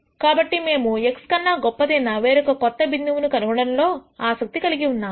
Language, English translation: Telugu, So, what we are interested in is nding a new point which is better than x generally